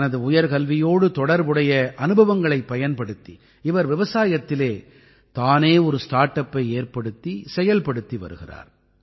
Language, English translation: Tamil, He is now using his experience of higher education by launching his own startup in agriculture